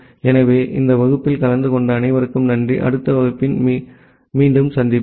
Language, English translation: Tamil, So thank you all for attending this class, we will meet again during the next class